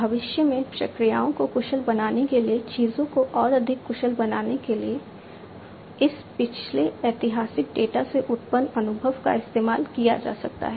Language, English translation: Hindi, The experience that is generated from this previous historical data to make things much more efficient, to make processes efficient in the future